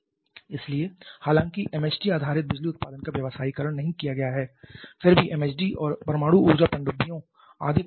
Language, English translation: Hindi, So, though MHD based power generation has not been commercialized yet there are certain instances of MHD and nuclear power submarines etcetera